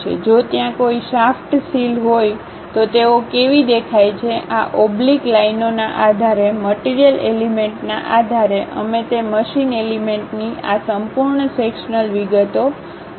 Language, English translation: Gujarati, If there are any shaft seals, how they really look like; based on these hatched lines, based on the material elements, we will represent these complete full sectional details of that machine element